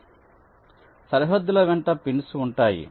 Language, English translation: Telugu, so there will be pins along the boundaries